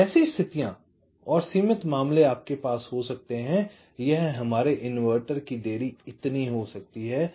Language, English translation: Hindi, ok, so there are situations and the limiting case you can have this will be our inverter delay this much